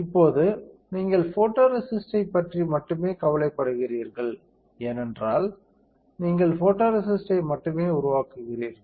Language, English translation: Tamil, Now, this is where you are only worried about the photoresist because you are only developing photoresist